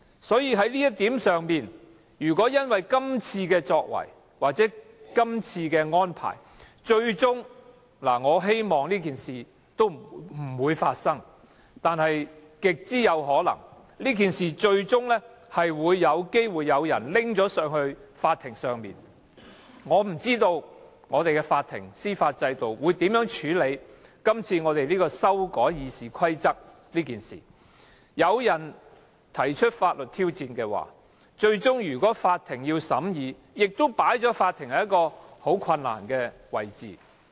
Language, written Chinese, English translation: Cantonese, 所以，在這一點上，如果因為今次的決定或安排，最終——我希望這件事不會發生，但極可能發生——可能有人訴諸法庭。我不知道法庭及司法制度將如何處理這次修改《議事規則》的事件，如果有人提出法律挑戰，最終要法庭裁決，亦會令法庭很為難。, That is why on this count if the decisions or arrangements of this meeting ultimately―I hope it will not happen but is highly likely―lead someone to take the case to court I have no idea how the Court and the legal system will handle this issue of amending RoP . The Court will also be placed in a difficult position having to hand down an ultimate ruling in the event of a legal challenge